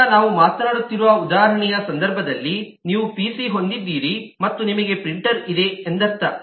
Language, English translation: Kannada, so in the context of the example we were talking of, that means that you have a pc and you have a printer